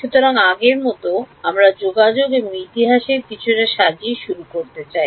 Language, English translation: Bengali, So, as before, we would like to start with a little bit of sort of contacts and history